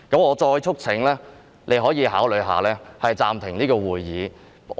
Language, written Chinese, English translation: Cantonese, 我再促請你考慮暫停會議。, I call upon you once again to consider suspending the meeting